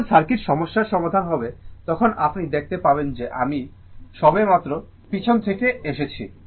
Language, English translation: Bengali, When we will solve the circuit problem, at that time you will see into this I just came from the back right